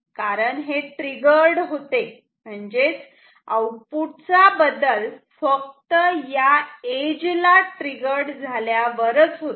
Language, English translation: Marathi, Because this is triggered this change of the output is triggered only at the edge